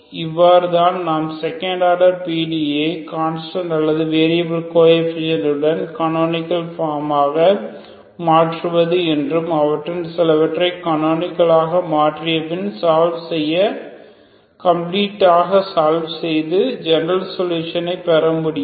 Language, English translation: Tamil, So this is how we can reduce second order linear partial differential equation with constant or variable coefficients into a canonical forms some of them after reducing into canonical form can be solved completely to get the general solution